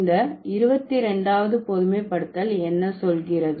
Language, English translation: Tamil, And what does the 22nd generalization say